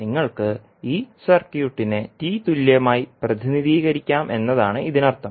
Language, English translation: Malayalam, It means that you can represent this circuit as T equivalent